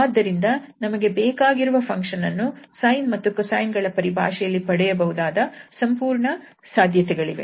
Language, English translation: Kannada, We can see this is not as simple as we perhaps expected from the sine and the cosine functions